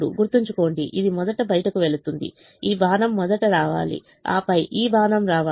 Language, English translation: Telugu, this arrow should come first and then this arrow should come